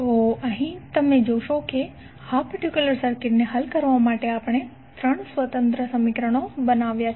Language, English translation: Gujarati, So here you will see that there are 3 independent equations we have created to solve this particular circuit